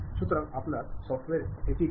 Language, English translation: Bengali, So, your software does that